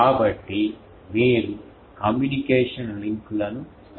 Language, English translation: Telugu, So, you can establish communication links etc